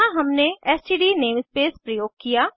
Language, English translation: Hindi, Here we have used std namespace